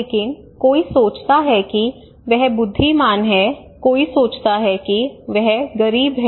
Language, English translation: Hindi, But this person is wise or poor somebody thinks he is wise somebody thinks he is poor right